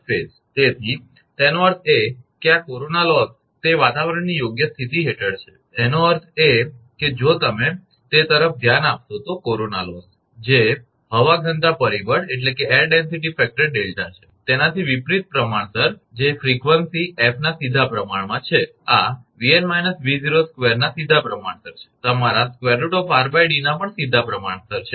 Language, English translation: Gujarati, So, that means, this corona loss it is under fair weather conditions; that means, corona loss if you look into that is inversely proportional to the delta that is air density factor, directly proportional to the frequency, directly proportional to this V n minus V 0 square and also directly proportional to your root over r by D